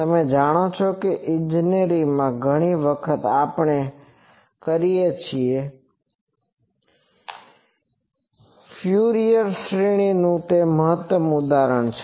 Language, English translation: Gujarati, You know that in engineering many times we do that the best example is the Fourier series